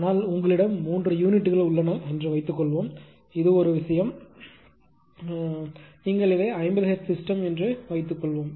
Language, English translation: Tamil, But after the suppose you have a ah suppose you have 3 units, right and this is something that if it is a this thing you are what you call this 50 hertz system say